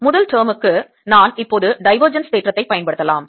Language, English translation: Tamil, for the first term i can now use divergence theorem